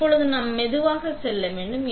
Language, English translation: Tamil, Now, we want to go slower